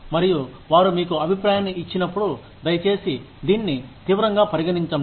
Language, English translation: Telugu, And, when they give you feedback, please take it seriously